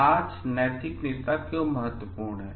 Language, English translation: Hindi, Why the moral leaders important today